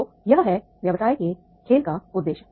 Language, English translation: Hindi, So this is the aim of the business game